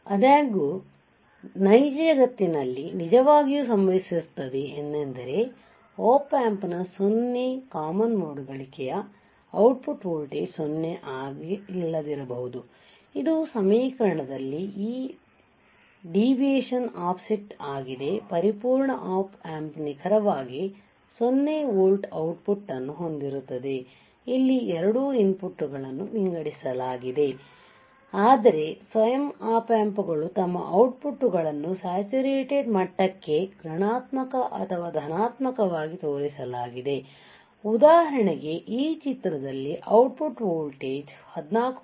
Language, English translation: Kannada, However, in the real world this really happens even in the Op Amp in equation has 0 common mode gain the output voltage may not be 0 this deviation is nothing, but your offset, this deviation is your offset a perfect Op Amp would output exactly have 0 volts where both inputs are sorted right like here both inputs are sorted and output should be 0 volts right